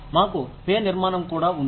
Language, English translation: Telugu, We also have a pay structure